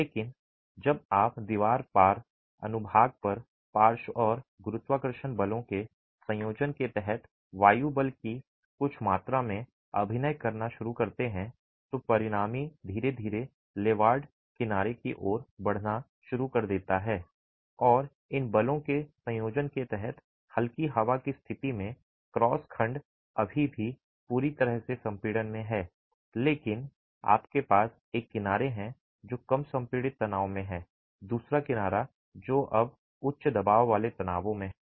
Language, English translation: Hindi, But as you start having some amount of wind force acting on the wall cross section under the combination of lateral and gravity forces, the resultant starts shifting slowly towards the leeward edge and in situation of light wind under a combination of these forces the cross section is still fully in compression but you have one edge which is in lower compressive stresses and the other edge which is now in higher compressive stresses